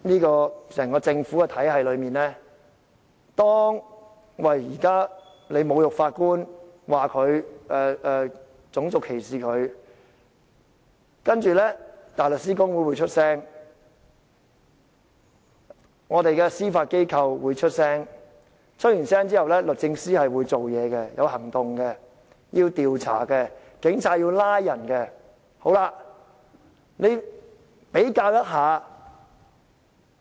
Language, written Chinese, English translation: Cantonese, 在整個政府的體系裏，當法官被侮辱，種族歧視，香港大律師公會及司法機構會發表意見，之後律政司會有行動，警方調查後就會作出拘捕。, For cases of insult to or racial discrimination against foreign judges we can see comments from the Hong Kong Bar Association as well as the Judiciary actions from the Department of Justice and investigations and arrests by the Police in the entire government system